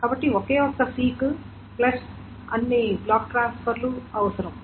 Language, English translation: Telugu, So it is only one seek plus all the block transfers that is needed